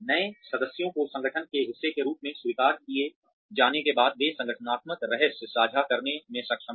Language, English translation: Hindi, After the new members are accepted as part of the organization, they are able to share organizational secrets